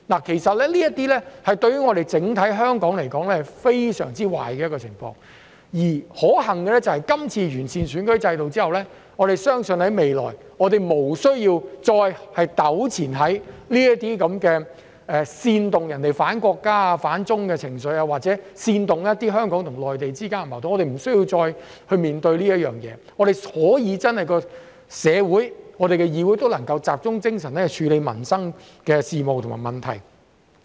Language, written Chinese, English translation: Cantonese, 其實這些對香港整體來說是非常壞的情況，可幸的是，這次落實完善選舉制度後，我們相信未來無須再糾纏於這些煽動人反國家、反中的情緒，又或者煽動香港與內地間的矛盾，我們不用再面對這些事情，香港社會和議會能夠集中精神處理民生事務和問題。, Fortunately after the implementation of the improved electoral system we believe that we will no longer be embroiled in such sentiments that incite people to act against the country and China or conflicts between Hong Kong and the Mainland . We will no longer need to deal with such matters and the Hong Kong society and the Council can focus on dealing with issues and problems about peoples livelihood